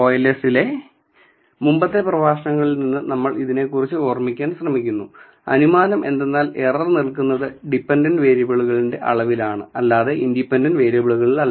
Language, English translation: Malayalam, So, if you could recall from your earlier lectures in OLS, the assumption is that, so, error is present only in the measurement of dependent variable and not on the independent variable